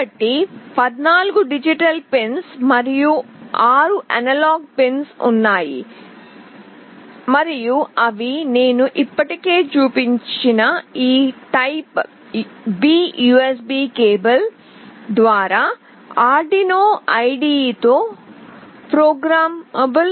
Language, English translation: Telugu, So, there are 14 digital pins and 6 analog pins, and they is programmable with Arduino IDE via this typeB USB cable which I have already shown